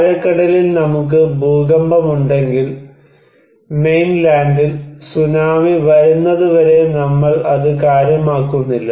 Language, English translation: Malayalam, If we have earthquake in deep sea, we do not care unless and until the Tsunami comes on Mainland